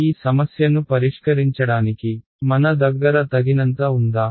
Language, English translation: Telugu, Do we have enough to solve this problem